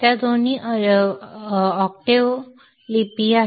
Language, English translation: Marathi, They both are octave scripts